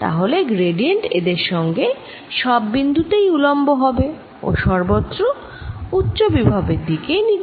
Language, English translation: Bengali, one, then gradient will be perpendicular to this at each point and pointing towards higher potential everywhere